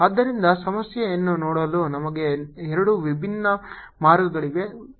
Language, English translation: Kannada, so we have two different ways of looking at the problem